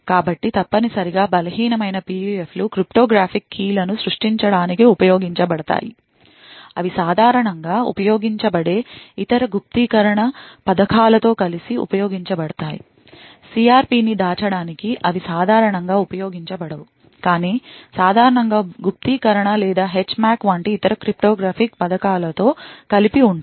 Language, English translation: Telugu, So essentially weak PUFs are used for creating cryptographic keys, they are used together with other encryption schemes like they are typically used they are typically not used by itself but typically combined with other cryptographic schemes like encryption or HMAC and so on in order to hide the CRP